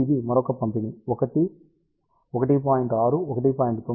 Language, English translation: Telugu, Now, this is the another distribution which is 1 1